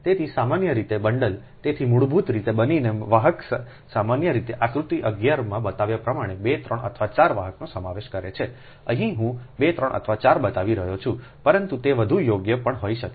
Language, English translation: Gujarati, so generally the bundle, so basically bundled conductors, usually comprises two, three or four conductors, as shown in figure eleven right here i am showing two, three or four, but it maybe more also, right